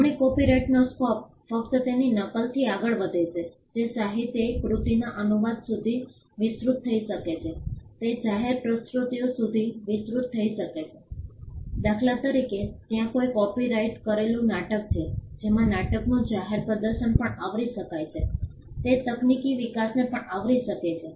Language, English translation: Gujarati, Scope of the right copyright extends beyond mere copy it can extend to translation of literary works, it can extend to public performances for instance there is a play a copyrighted play the public performance of the play could also be covered, it could also cover technological developments